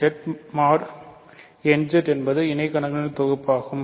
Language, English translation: Tamil, So, Z mod nZ is not a field right